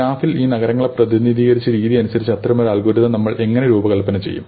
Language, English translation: Malayalam, So, how do we design such an algorithm, given the way we have represented the cities in this graph